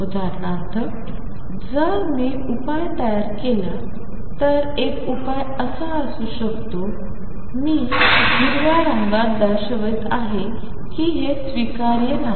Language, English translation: Marathi, For example, if I build up the solution one solution could be like this, I am showing in green this is not acceptable